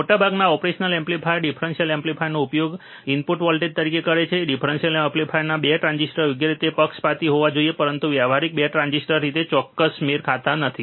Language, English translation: Gujarati, A most of the operational amplifier use differential amplifier as the input voltage the 2 transistor of the differential amplifier must be biased correctly, but practically it is not possible to exact match exact matching of 2 transistors